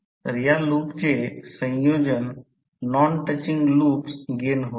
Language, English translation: Marathi, So the combination of these loops will be the non touching loops gains